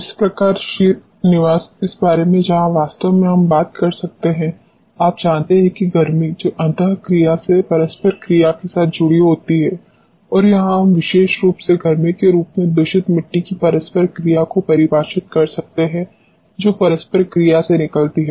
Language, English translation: Hindi, So, Srinivas this where actually we can talk about you know heat which is associated with the interaction and this is where we can define the contaminant soil interaction particularly in the form of heat which comes out of the interaction